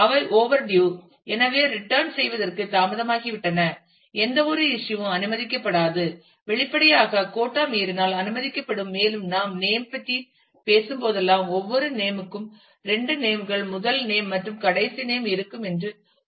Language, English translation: Tamil, So, they are overdue for return in that case no issue will be allowed no issue will; obviously, be allowed if the quota exceeds and it is also specified that whenever we talk about name every name will have two parts the first name and the last name